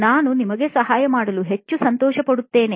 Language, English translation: Kannada, I will be more than happy to help you